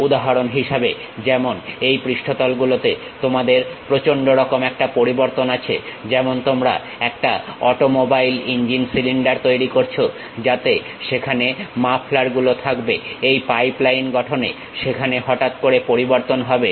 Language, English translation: Bengali, For example, like you have drastic variation on these surfaces, like you are making a automobile engine cylinder where mufflers will be there, sudden change in this pipeline structures will be there